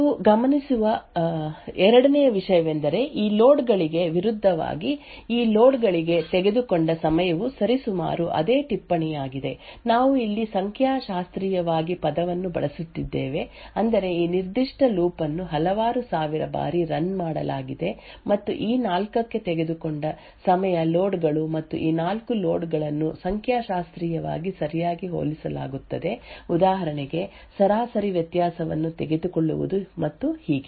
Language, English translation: Kannada, The second thing you would notice is that the time taken for these loads versus these loads is approximately the same note that we are using the word statistically over here which would means this particular loop is run several thousands of times and the time taken for these four loads and these four loads are compared statistically right for example taking the average variance and so on